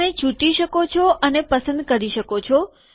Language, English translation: Gujarati, You can pick and choose